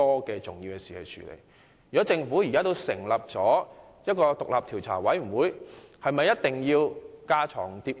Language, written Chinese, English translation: Cantonese, 既然政府現已成立獨立調查委員會，是否有必要架床疊屋？, Since the Government has already set up an independent Commission of Inquiry is it necessary to duplicate the work?